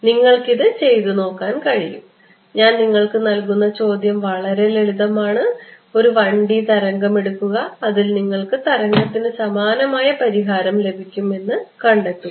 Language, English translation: Malayalam, So, you can work it out I am just giving you it is very simple ones just put this out take a 1D wave problem put it in you will find that I still get a wave like solution ok